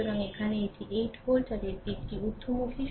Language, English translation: Bengali, So, here it is 8 volt and direction is upward